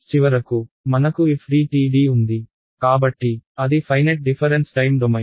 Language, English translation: Telugu, And finally we have FDTD so that is finite difference time domain